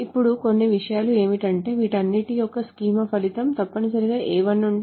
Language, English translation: Telugu, So now a couple of things is that, so the result of the schema of all of this is essentially A1, A